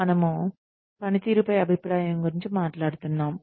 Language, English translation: Telugu, We were talking about, the feedback on performance